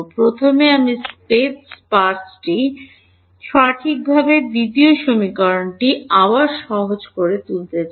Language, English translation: Bengali, First I want to get the space parts done correctly second equation again simple